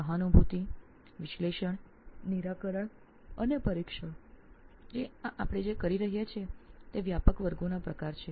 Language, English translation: Gujarati, So empathize, analyze, solve and test so these are the sort of broad categories what we are doing